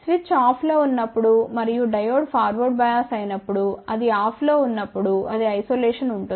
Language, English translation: Telugu, When the switch is off and when it will be off when Diode is forward bias in that case it is isolation